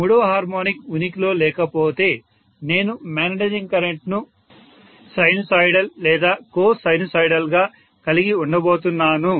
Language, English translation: Telugu, If third harmonic component is not there in the magnetizing current, it has to be fairly sinusoidal